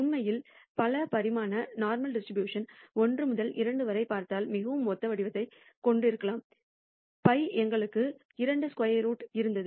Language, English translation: Tamil, In fact, we can write the multi dimensional normal distribution also has a very similar form if you look at it 1 by 2 pi we had square root of 2 pi